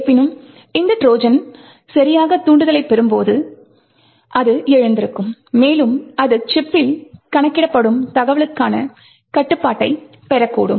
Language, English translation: Tamil, However, when this Trojan gets the right trigger, then it wakes up and it could get access to the information that is getting computed in the chip